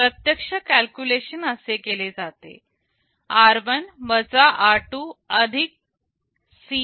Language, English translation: Marathi, The actual calculation is done like this: r1 r 2 + C 1